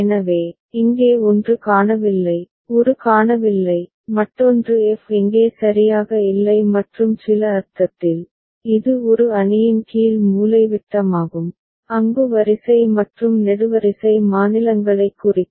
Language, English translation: Tamil, So, one is missing here, a is missing, another is f is missing here right and in some sense, it is a lower diagonal of a matrix where row and column represent states